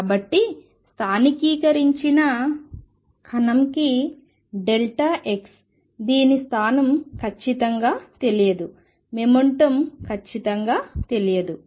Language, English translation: Telugu, So, for a localized particle delta x it is position is not known exactly is momentum is not know exactly